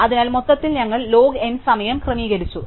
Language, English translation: Malayalam, So, overall we sorted n log n time